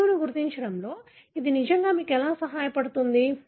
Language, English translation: Telugu, How does it really help you in identifying the gene